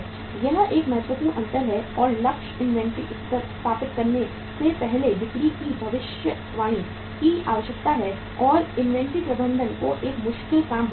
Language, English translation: Hindi, This is a critical difference and the necessity of forecasting sales before establishing target inventory levels which makes inventory management a difficult task